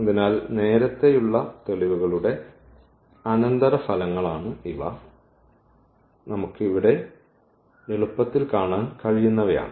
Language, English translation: Malayalam, So, these are the consequence of the earlier proof which we can easily see here